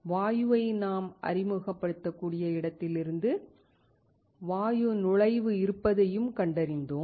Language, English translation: Tamil, We also found that the gas inlet from where we can introduce the gas